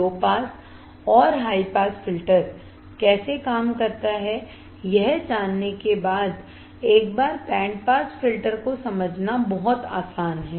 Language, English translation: Hindi, Very easy to understand band pass filter once you know how the low pass and high pass filter works